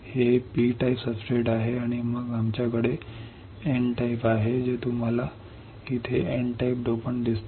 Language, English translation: Marathi, It is P type substrate and then we have N type you see here N type dopant